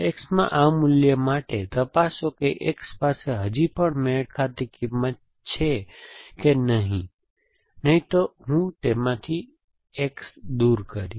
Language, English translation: Gujarati, For this value in X, let me go and check if X still has a matching value or not, otherwise I will remove X from that